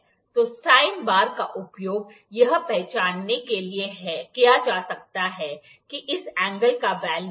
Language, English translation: Hindi, So, the sine bar can be used to identify, what is the value of this angle